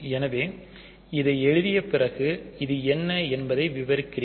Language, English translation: Tamil, So, I will describe what this is after writing this